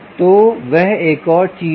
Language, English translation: Hindi, so thats another thing